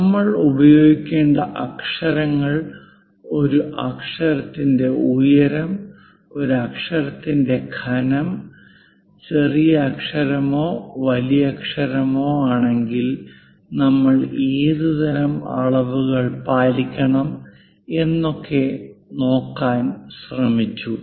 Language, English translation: Malayalam, And then we covered what are the lettering to be used, what should be the height of a letter, thickness of a letter if it is a lowercase, if it is a uppercase what kind of dimensions one should follow we try to look at